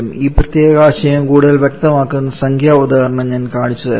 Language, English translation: Malayalam, Let me show you want numerical example which may make this particular concept more clear